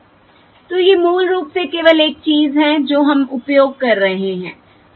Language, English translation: Hindi, So these are basically the only things that we are using